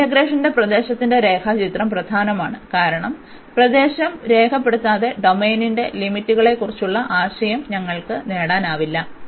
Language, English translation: Malayalam, And the sketch of region of this integration is important, because without sketching the region we cannot get the idea of the limits of the domain